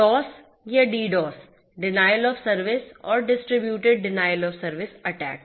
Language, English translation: Hindi, DoS or DDoS; Denial of Service and Distributed Denial of Service attacks